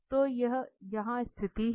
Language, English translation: Hindi, So, we will go with this